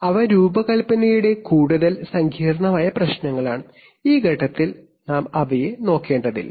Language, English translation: Malayalam, So, such are there, they are more complicated issues of design and we need not look at them at this stage